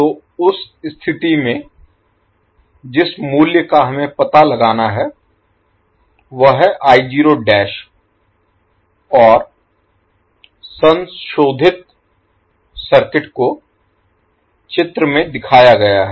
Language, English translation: Hindi, So in that case what will happen your modified circuit will look like as shown in the figure